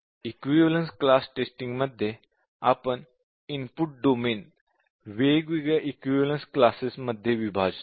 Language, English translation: Marathi, The premise of equivalence class testing is that, the input domain, we are partitioning into different equivalence classes